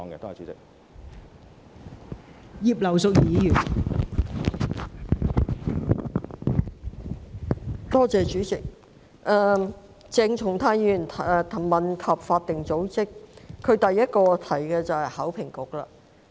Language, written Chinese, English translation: Cantonese, 代理主席，鄭松泰議員問及法定組織，他在主體質詢中第一個提到的機構就是考評局。, Deputy President Dr CHENG Chung - tai asked about statutory bodies and the first one mentioned in his main question is HKEAA